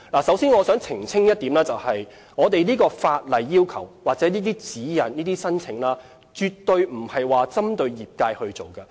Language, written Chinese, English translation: Cantonese, 首先，我想澄清一點，我們的法例要求或申請指引絕對不是針對業界推出的。, First of all I wish to clarify that the laws or the application guidelines are not drafted specifically for the industry